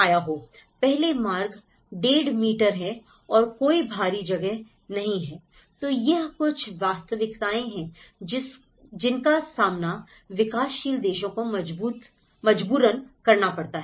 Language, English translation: Hindi, 5 meters and there is no outside space, so these are some of the reality which the developing countries face